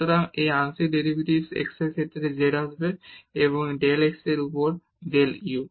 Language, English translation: Bengali, So, this partial derivatives z with respect to x will come and del x over del u